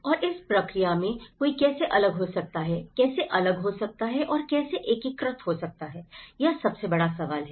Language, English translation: Hindi, And how one can, in that process how one gets segregated and also how gets one integrated is the biggest question